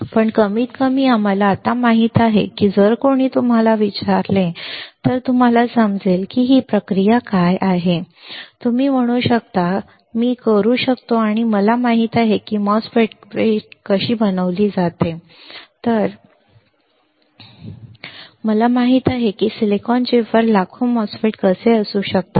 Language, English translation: Marathi, But at least we know now how if somebody asks you can you understand what is this process flow, you can say yes, I can and because I know how MOSFET is fabricated I know how we can have millions of MOSFET on one silicon chip on a tiny piece of silicon chip right